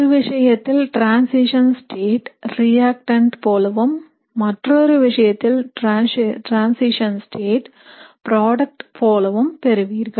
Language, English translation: Tamil, So in one case you will have reactant like transition state, in another case you will have product like transition state